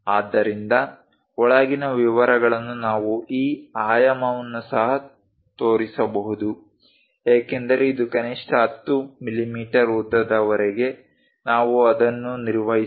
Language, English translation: Kannada, So, the inside details we can show even this dimension as this one also as long as minimum 10 mm length we can maintain it